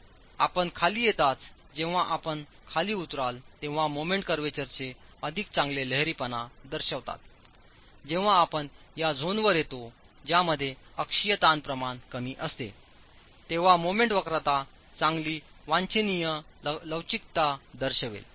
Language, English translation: Marathi, As you come down, as you come down the moment curvatures will show better ductility and when you come to these zones you will get when you come to the zones in which the axial stress ratios are low the moment curvature will show good desirable ductility